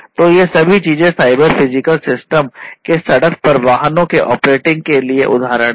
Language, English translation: Hindi, So, all these things are examples of cyber physical systems operating on the road on the vehicles and so on